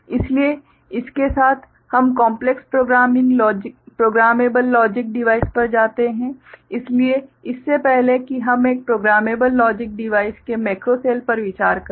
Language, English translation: Hindi, So, with this we go to what is called complex programmable logic device, so before that we just take a look at what we consider a macro cell of a programmable logic device ok